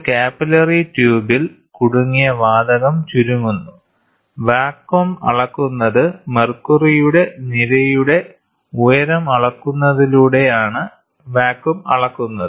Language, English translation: Malayalam, The trapped gas gets compressed in a capillary tube, the vacuum is measured by measuring the height of the column of mercury